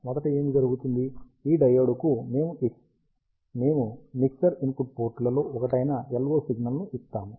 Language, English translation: Telugu, And what first happens is to this diode we present the LO signal, which is one of the mixer input ports